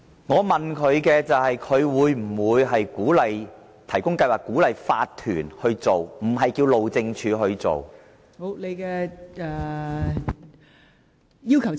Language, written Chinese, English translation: Cantonese, 我問局長會否提供資助鼓勵法團去做，而不是要求路政署去做。, I asked the Secretary whether subsidies would be provided to OCs to carry out the projects I was not asking the Highways Department to carry out the project